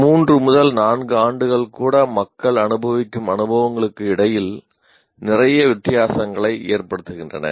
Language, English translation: Tamil, Even three years, four years are making a lot of difference between the experiences the people go through